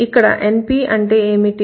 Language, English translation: Telugu, NP stands for what